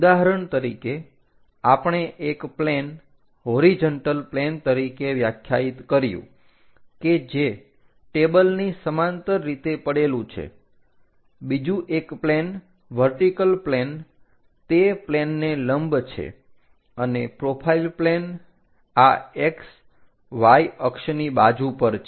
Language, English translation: Gujarati, For example, we define a plane as horizontal plane which is lying parallel to the table, other one is vertical plane perpendicular to the plane and a profile plane which is on the side of this X Y axis